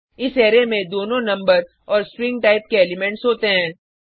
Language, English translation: Hindi, This array has elements of both number and string type